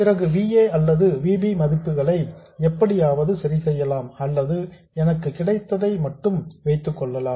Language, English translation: Tamil, Then I can somehow adjust the values of VA or VB or just settle for what I get